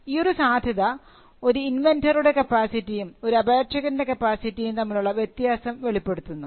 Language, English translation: Malayalam, So, this provision brings out the distinction between the capacity of an inventor and the capacity of an applicant